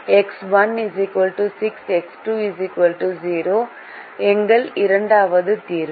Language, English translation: Tamil, so x one equal to six, x two equal to zero is our second solution